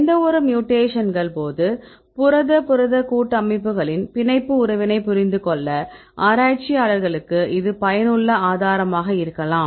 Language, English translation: Tamil, This could be useful resource right for researchers to understand the binding affinity right of any Protein protein complexes upon mutations